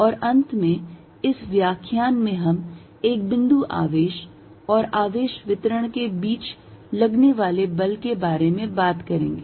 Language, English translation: Hindi, And finally, in this lecture we are going to talk about the force between a point charge and a charge distribution